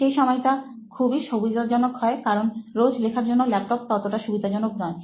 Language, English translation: Bengali, So that is very convenient that time but laptop is not that convenient for writing everyday thing